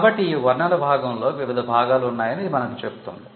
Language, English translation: Telugu, So, this tells us that the description comprises of various parts